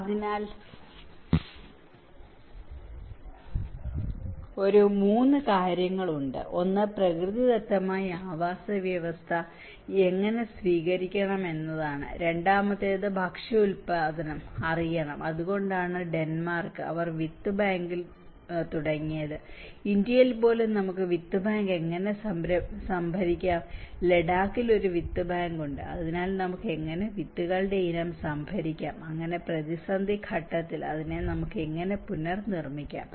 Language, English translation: Malayalam, So, there is a 3 things; one is how it can naturally the ecosystem should adopt, the second is the food production should know, so that is why the Denmark, they started with the seed bank, how we can store the seed bank even in India we have in Ladakh area where there is a seed bank so, how we can store the species of seeds, so that in the time of crisis how we can regenerate it further